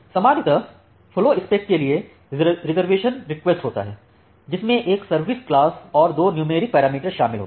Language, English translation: Hindi, Now this flowspec it is a reservation request it generally includes a service class and two sets of numeric parameter